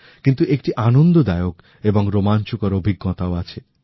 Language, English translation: Bengali, But therein lies a pleasant and interesting experience too